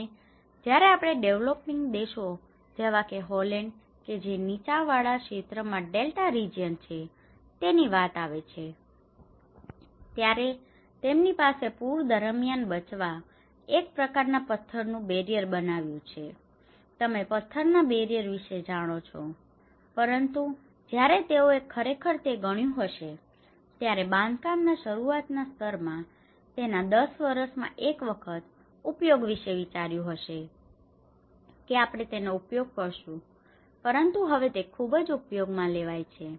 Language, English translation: Gujarati, And when it comes to the developing countries like Holland which is an Delta region in a low lying area and they also have strategies of making a kind of barriers you know the stone barriers to protect them during flood but when they actually calculated this in the initial stage of construction they thought once in a 10 years, we may use, but now they are using very frequently